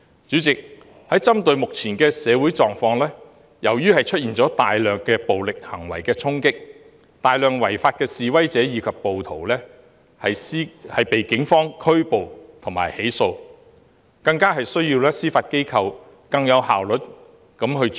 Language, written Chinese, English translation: Cantonese, 主席，針對目前的社會狀況，大量暴力行為的衝擊導致有大量違法的示威者和暴徒被警方拘捕及起訴，所以更需要司法機構提高效率處理。, President in view of the present social condition massive violent acts have resulted in numerous arrests and prosecutions of demonstrators and rioters by the Police which necessitate even more efficient handling by the Judiciary